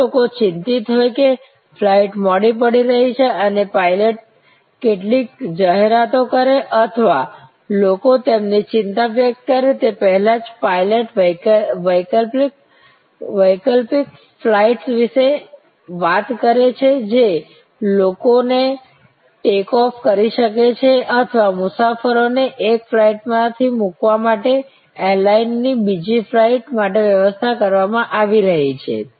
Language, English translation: Gujarati, If people are anxious that the flight is getting delayed and the pilot makes some announcement or the pilot even before people express their anxiety, talks about alternate flights that people can take off or the airline arrangements that are being made to put the passengers from one flight to the other flight